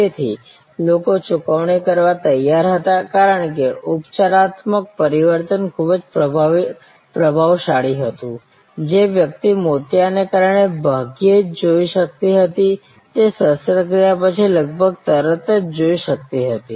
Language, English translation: Gujarati, So, people were willingly to pay, because the curative transformation was very impressive, a person who could hardly see because of the cataract coverage could see almost immediately after the operation